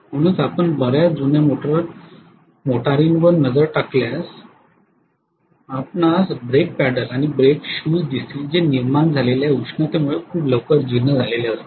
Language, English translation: Marathi, That is why if you look at many of the old cars you will see that the break paddle and the brake shoes those get worn and you know worn out very soon because of the heat generate